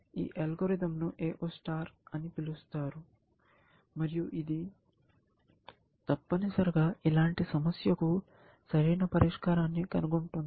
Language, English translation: Telugu, This algorithm is called AO star and it essentially, finds an optimal solution for a problem like